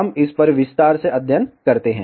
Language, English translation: Hindi, We study this in detail further